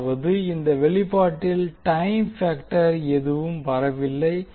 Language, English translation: Tamil, That means that there is no time factor coming in this particular expression